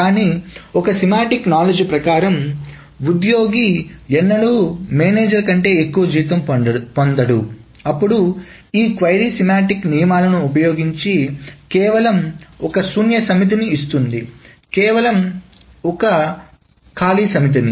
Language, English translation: Telugu, But if a semantic knowledge is being built in that the employee can never get salary more than her manager, then this query uses that semantic rule and simply returns a null set